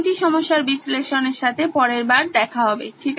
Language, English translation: Bengali, We will see you next time with the analysis of these 3 problem